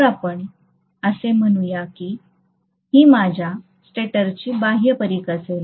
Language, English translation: Marathi, So let us say this is going to be my stator’s outer periphery